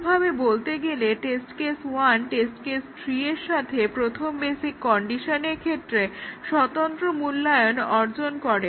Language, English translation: Bengali, In other words the test case one along with test case three will achieve the independent evaluation of the first basic condition